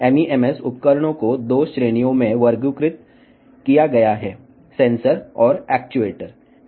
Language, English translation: Telugu, MEMS devices are categorized into 2 categories; sensors and actuators